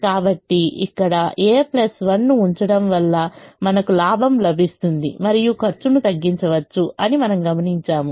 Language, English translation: Telugu, so we observe that putting a plus one here can actually give us a gain and can reduce the cost